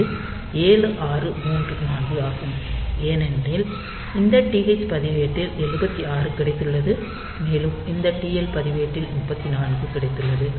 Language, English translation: Tamil, So, this is 7 6 3 4, because this TH register has got 7 6 and this TL register has got there 3 4